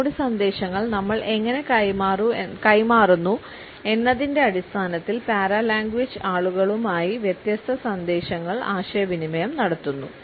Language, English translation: Malayalam, Our paralanguage communicates different messages to the other people on the basis of how we pass on our messages